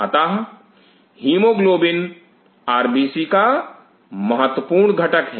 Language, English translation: Hindi, So, hemoglobin is the key part of the RBC’s